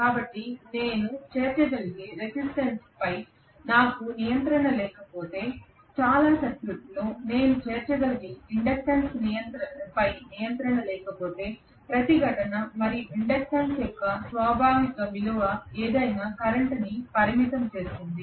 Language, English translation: Telugu, So if I have no control over the resistance that I can include or no control over an inductance that I can include in the circuit whatever is the inherent value of resistance and inductance that is what limits the current